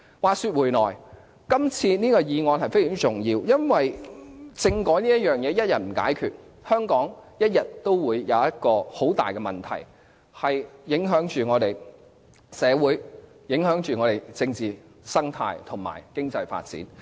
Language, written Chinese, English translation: Cantonese, 話說回來，今次這項議案非常重要，因為政改問題一日未解決，香港始終會出現很大的問題，影響我們的社會、政治生態和經濟發展。, Having said that I think this motion is very important . As long as the constitutional reform issue has not been solved Hong Kong will still be caught in a trap affecting its development in social political and economic aspects